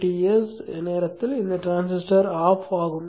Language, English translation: Tamil, So during the DTS period this transistor is on